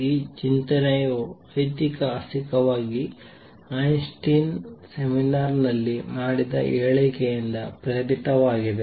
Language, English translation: Kannada, Historically is this thinking has been historically was inspired by remark by Einstein in seminar